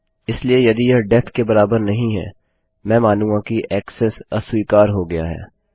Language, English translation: Hindi, So if it doesnt equal def, Ill say Access denied